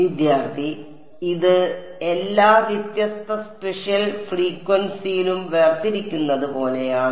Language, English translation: Malayalam, So, this is like separated on the all the different spatial frequency